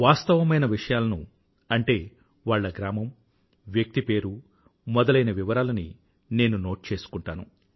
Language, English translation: Telugu, Then, I note down facts like the name of the village and of the person